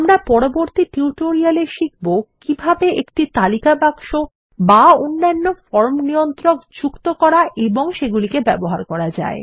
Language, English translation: Bengali, We will see how to add and use a list box and other form controls in the next tutorial